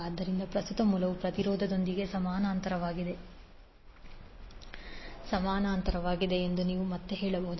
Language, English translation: Kannada, So you can say again the current source is in parallel with impedance